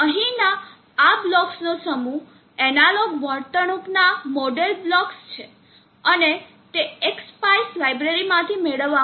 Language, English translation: Gujarati, These set of blocks here or analog behavioural modelling blocks and they are obtained from the X spice library